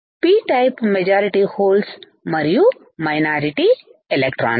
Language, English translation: Telugu, What is that P type majority are holes and minority are electrons